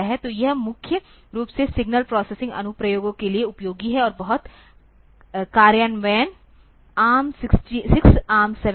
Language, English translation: Hindi, So, that is useful for mainly for the signal processing applications, and the very implementations are ARM 6, ARM 7